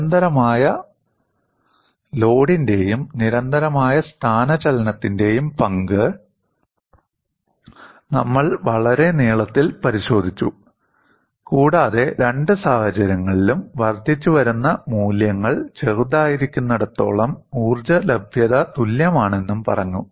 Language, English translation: Malayalam, And we have looked at great length, the role of constant load as well as constant displacement, and said, in both the cases, the energy availability is same as long as the incremental values are small